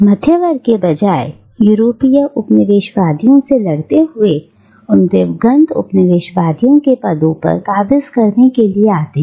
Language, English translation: Hindi, Rather the middle class, having fought off the European colonisers, come to occupy the very positions of those departed colonisers